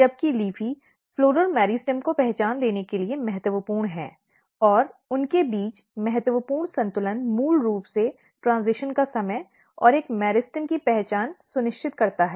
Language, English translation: Hindi, Whereas, LEAFY is important for giving identity to the floral meristem and the critical balance between them basically ensures the time of transition and the identity of a meristem